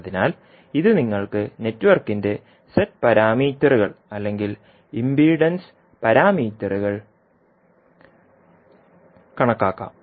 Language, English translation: Malayalam, So, this you can calculate the Z parameters or impedance parameters of the network